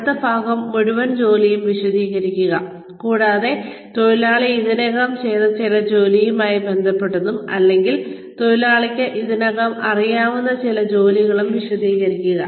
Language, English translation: Malayalam, The next part is, explain the whole job, and related to some job, the worker has already done, or some job that, the worker already knows